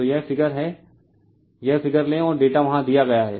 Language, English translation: Hindi, So, this is the figure you take this figure and data are given there right